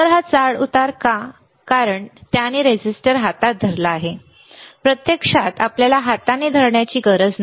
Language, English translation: Marathi, So, this fluctuating because he is holding with hand, in reality you do not have to hold with hand